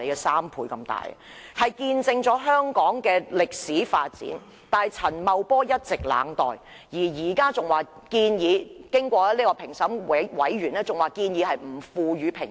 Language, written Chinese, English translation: Cantonese, 雖然它見證了香港歷史的發展，但陳茂波卻一直冷待，現在評審小組更建議不賦予評級。, Although these houses are evidence of Hong Kongs development they have been indifferently treated by Paul CHAN and the assessment panel even suggests not giving the houses any grading